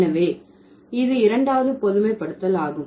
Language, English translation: Tamil, So, that's the second generalization